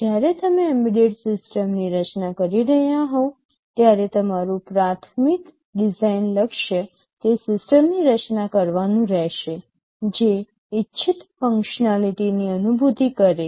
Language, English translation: Gujarati, When you are designing an embedded system, your primary design goal will be to design a system that realizes the desired functionality